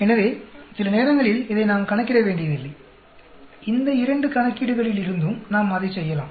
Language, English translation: Tamil, So, sometimes we do not have to calculate this, from these two calculations we can do that